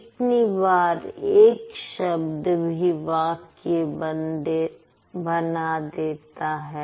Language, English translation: Hindi, Sometimes only one word can also make a sentence